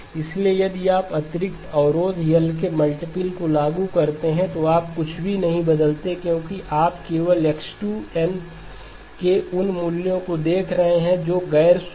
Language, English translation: Hindi, So if you impose additional constraint, multiple of L, you do not change anything because you are only looking at those values of X2 that are non zero